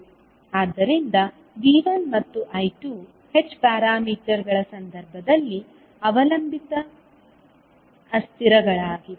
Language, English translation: Kannada, So V1 and I2 were the dependent variables in case of h parameters